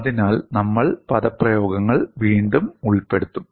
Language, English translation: Malayalam, So, we would recast the expressions